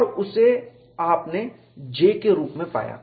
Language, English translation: Hindi, And you got that as J